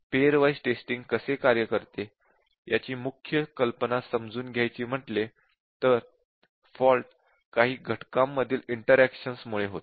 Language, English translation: Marathi, So, the main idea why pair wise testing works is that the fault is caused by interaction among a few factors